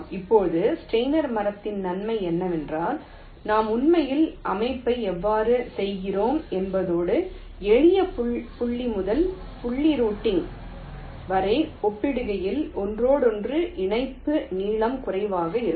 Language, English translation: Tamil, ok, now, the advantage of steiner tree is that this is how we actually do the layout and the interconnection length is typically less as compare to simple point to point routing